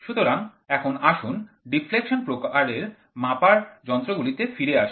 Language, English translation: Bengali, So, now let us get back to the deflection type measuring instruments